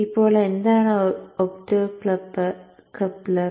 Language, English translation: Malayalam, Now this portion will be the optocopter